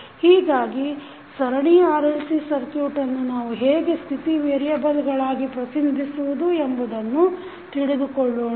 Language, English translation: Kannada, So, let us understand how we can represent that series RLC circuit into state variables